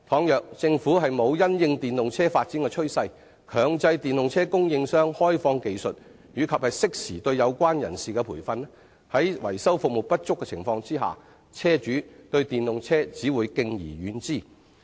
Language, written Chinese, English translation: Cantonese, 如果政府沒有因應電動車發展的趨勢，強制電動車供應商開放技術及適時對有關人士提供培訓，在維修服務不足的情況下，車主對電動車只會敬而遠之。, If the Government does not dovetail with the development trend of EVs and make it mandatory for EV suppliers to disclose the technical know - how and provide training to the people concerned in good time car owners will only stay away from EVs due to the shortage of repairs services